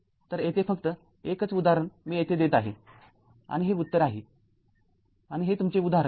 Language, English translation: Marathi, So, one only one problem here I will giving here and this is the answer and this is your problem right